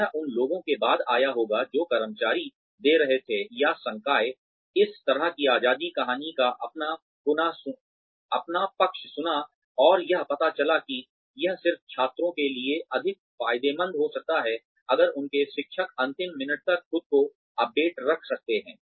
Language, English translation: Hindi, This must have come after the people, who were giving the employees, or the faculty, this kind of freedom, heard their side of the story, and came to know that, it just might be much more beneficial for the students, if their teachers could keep updating themselves, till the last minute